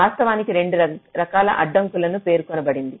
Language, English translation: Telugu, they actually specify two kinds of constraints